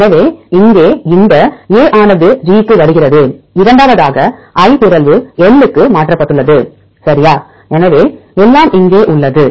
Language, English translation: Tamil, So, here this A comes to G and the second one I is mutated to L this I is mutated to L right